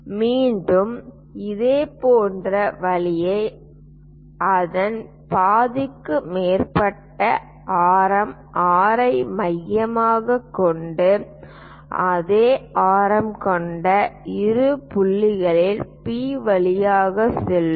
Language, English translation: Tamil, Again, we have to construct similar way with radius more than half of it centre R with the same radius join these points which will pass through P